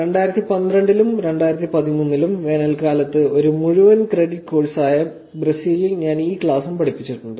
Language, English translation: Malayalam, I also have taught this class in Brazil, which is a full credit course over the summers in 2012 and 2013